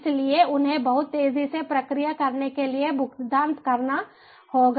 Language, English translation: Hindi, so they have to be paid processing pretty fast